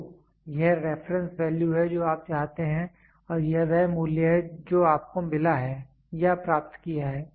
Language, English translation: Hindi, So, this is the reference value what you want and this is the value what you have received or achieved